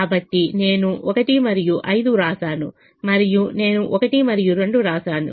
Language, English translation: Telugu, so i have written one and five and i have written one and two